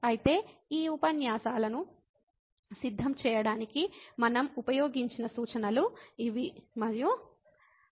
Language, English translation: Telugu, So, these are references we have used to prepare these lectures